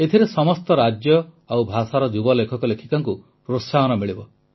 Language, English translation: Odia, This will encourage young writers of all states and of all languages